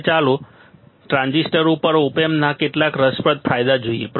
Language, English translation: Gujarati, Now, let us see some interesting advantage of op amp over transistors